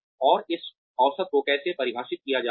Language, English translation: Hindi, And, how is this average being defined